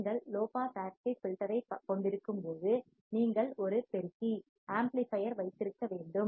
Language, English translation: Tamil, When you have to have low pass active filter, you have to have an amplifier